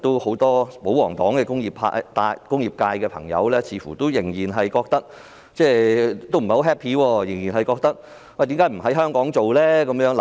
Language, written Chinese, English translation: Cantonese, 很多保皇黨的工業界朋友似乎不太高興，他們也質疑為何不在香港製造口罩。, It seems that many royalists from the industrial sector are unhappy and they queried why face masks are not produced in Hong Kong